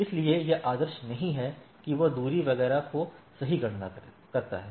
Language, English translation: Hindi, So, it is not ideally it goes on calculating the distance etcetera right